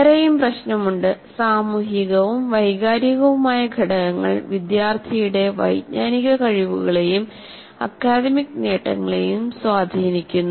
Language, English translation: Malayalam, Social and emotional factors influence students' cognitive abilities and academic achievements